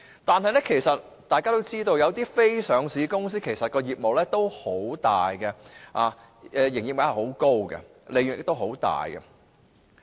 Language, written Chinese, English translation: Cantonese, 但是，大家均知道，有些非上市公司的業務眾多，營業額很高，利潤亦很高。, However it is known to all that some non - listed companies have extensive lines of business yielding high turnovers and huge profits